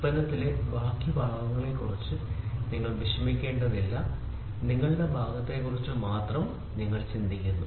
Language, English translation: Malayalam, So, you do not worry about rest of the parts in the product, you worry only about your part